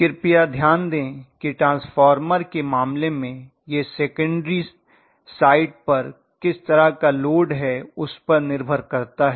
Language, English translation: Hindi, But please note in the case of transformer it depended upon what kind of load I connected on the secondary side